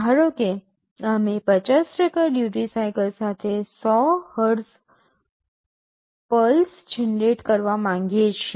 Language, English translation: Gujarati, Suppose, we want to generate a 100 Hz pulse with 50% duty cycle